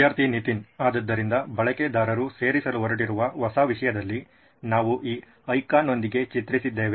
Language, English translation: Kannada, Students Nithin: So in the new content that users are going to add, that we have depicted with this icon